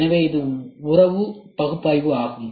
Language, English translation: Tamil, So, this is nothing, but a relationship analysis